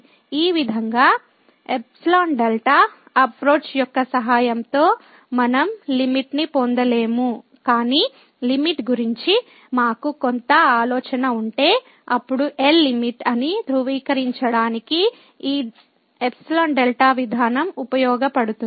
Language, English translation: Telugu, With the help of this epsilon delta approach, we cannot just get the limit; but if we have some idea about the limit, then this epsilon delta approach may be used to verify that L is the limit